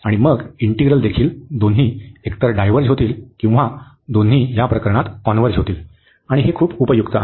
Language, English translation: Marathi, And then there integral will also either both will diverge or both will converge in this case, and this is very useful